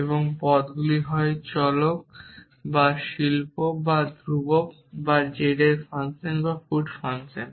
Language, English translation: Bengali, And terms are either variables or art or constant or functions feet of z is function